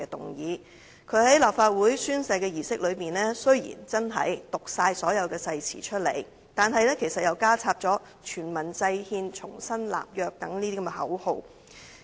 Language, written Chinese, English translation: Cantonese, 雖然他在立法會宣誓的儀式中的確讀完整篇誓詞，但其實他加插了全民制憲、重新立約等口號。, Even though he did read out the full version of the oath at the swearing - in ceremony of the Legislative Council he actually added such slogans as devising constitution by all people making new covenant